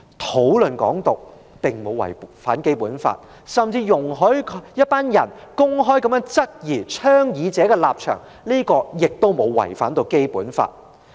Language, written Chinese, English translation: Cantonese, 討論"港獨"並沒有違反《基本法》，容許一些人公開質疑倡議者的立場，也沒有違反《基本法》。, Discussing Hong Kong independence does not violate the Basic Law and allowing some people to openly query the proponents position does not violate the Basic Law